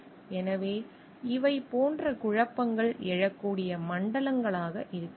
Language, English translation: Tamil, So, these could be the zones where like conflicts may arise